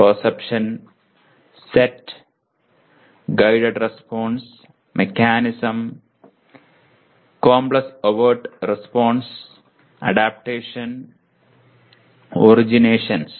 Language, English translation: Malayalam, Perception, set, guided response, mechanism, complex overt response, adaptation, originations